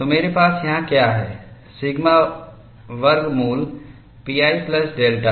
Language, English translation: Hindi, K sigma is sigma square root of pi into a plus delta